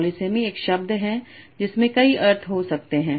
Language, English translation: Hindi, Polysami is a given word might have multiple senses